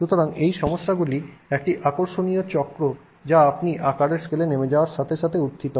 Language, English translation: Bengali, So, this is an interesting cycle of problems that arises as you go down in scale